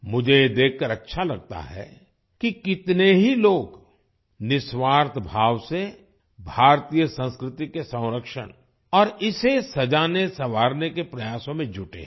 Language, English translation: Hindi, I feel good to see how many people are selflessly making efforts to preserve and beautify Indian culture